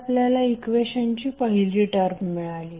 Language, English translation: Marathi, So you have got first term of the equation